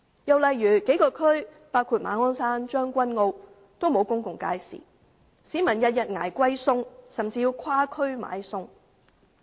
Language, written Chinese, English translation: Cantonese, 又例如一些地區，包括馬鞍山和將軍澳，均沒有公共街市，市民天天"捱貴菜"，甚至要跨區買菜。, Another example is the lack of public markets in certain districts including Ma On Shan and Tseung Kwan O . Members of the public have to bear expensive food prices every day . They even have to go to other districts to buy foodstuffs